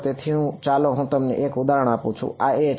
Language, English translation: Gujarati, So, let me give you an example this is a